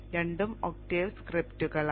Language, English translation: Malayalam, They both are octave scripts